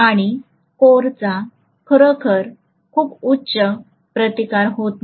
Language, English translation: Marathi, And core is not having really a very high resistance